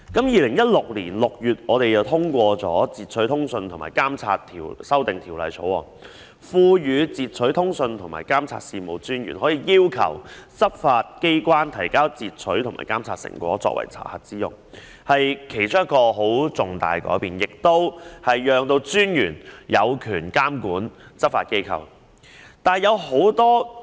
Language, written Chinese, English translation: Cantonese, 2016年6月通過的《截取通訊及監察條例草案》賦權截取通訊及監察事務專員要求執法機關提供截取及監察成果作查核之用，是其中一個十分重大的改變，讓專員有權監管執法機構。, The Interception of Communications and Surveillance Amendment Bill 2015 passed in June 2016 empowered the Commissioner to require the provision of interception and surveillance products by law enforcement agencies for inspection which is one of the significant changes so that the Commissioner has the power to monitor law enforcement agencies